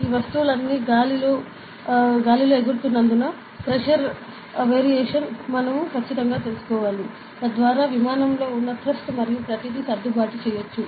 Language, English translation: Telugu, Since all these things fly in the air, we need to exactly know the pressure variation, so that we could adjust the thrust and everything in the aircraft